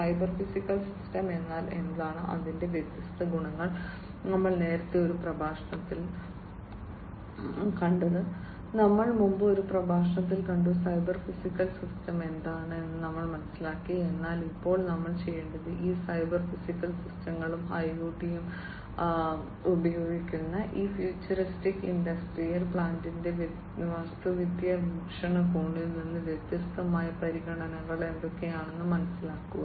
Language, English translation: Malayalam, That we have already seen in a previous lecture, the different you know what is a cyber physical system, and the different properties of it, we have already seen in a previous lecture, we have understood what is cyber physical system is, but now we need to understand that what are the different considerations from an architectural view point for these futuristic industrial plant, which use these cyber physical systems and IOT